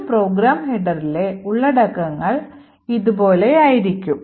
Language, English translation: Malayalam, So, the contents of a program header would look something like this